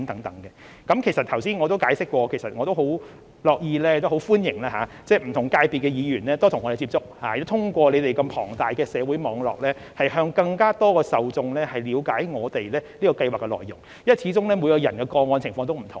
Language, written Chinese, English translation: Cantonese, 正如我剛才所解釋，我十分樂意也十分歡迎不同界別的議員多與我們接觸，通過他們龐大的社會網絡，讓更多受眾了解我們這項計劃的內容，因為始終每宗個案的情況也不同。, As I have explained earlier I am very pleased and welcome more frequent contact with Members of different sectors . Through their extensive social networks more target recipients will be able to understand the content of PLGS . After all the circumstances of each case are different